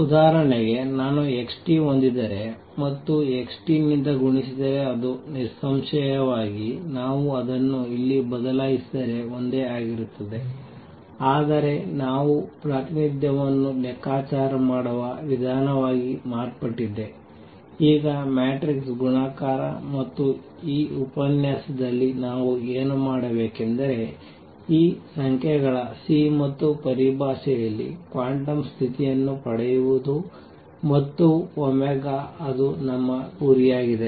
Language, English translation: Kannada, For example, if I have x t and multiplied by x t that would; obviously, be the same if we change it here, but the way we calculate the representation has become, now matrix multiplication and what we want to do in this lecture is obtain the quantum condition in terms of these numbers C and omega that is our goal